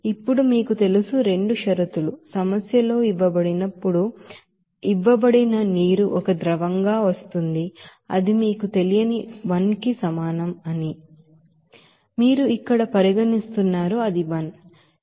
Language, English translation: Telugu, Now at this you know, condition two whatever it is, you know given in the problem that water as a liquid that is coming in that will be is equal to n 1 that is not known to you that you are considering here it is n 1